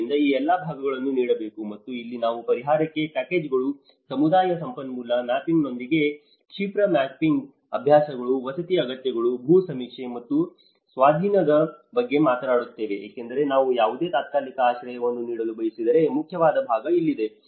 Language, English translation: Kannada, So, all this part has to be given and this is where we talk about compensation packages, rapid mapping exercises with community resource mapping, housing needs, land survey and acquisition because the main important part is here that if we want to provide any temporary shelter, where do you provide, where is the space, which is a safe place and how to negotiate it